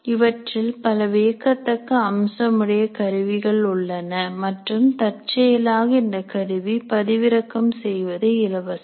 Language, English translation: Tamil, There are wonderful features in the tool and incidentally this tool is free to download